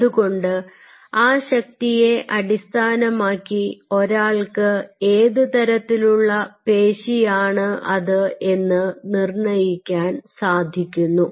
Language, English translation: Malayalam, so based on the force, one can essentially figure out what kind of muscle it is